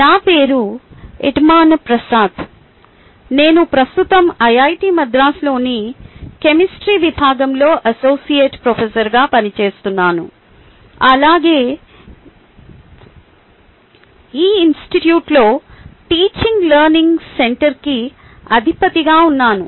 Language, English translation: Telugu, i am currently working as associate professor of the department of chemistry, iit madras, as well as heading the teaching learning centre in the institute